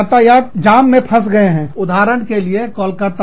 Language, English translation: Hindi, You are stuck in a traffic jam, in Calcutta, for example